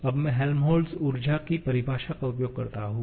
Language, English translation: Hindi, Now, let me use the definition of the Helmholtz energy now